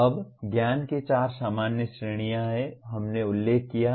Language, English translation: Hindi, Now, there are four general categories of knowledge which we have mentioned